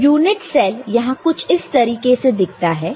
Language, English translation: Hindi, So, this unit cell here looks something like this ok